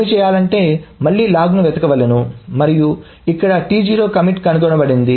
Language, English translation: Telugu, Then what needs to be done is that again the log is searched and here this commit T0 is being found